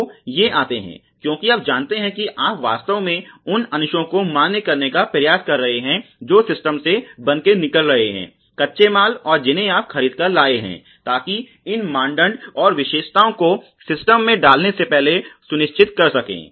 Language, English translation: Hindi, So, these come because you know you can actually try to validate the components which are coming out raw materials in your system the purchase material you know to ensure the conformance with these standards and the specifications before feeding it on to the systems